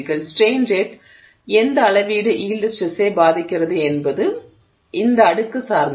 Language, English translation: Tamil, The extent to which the strain rate affects the yield stress depends on this exponent